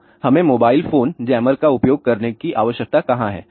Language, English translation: Hindi, So, where do we need to use mobile phone jammer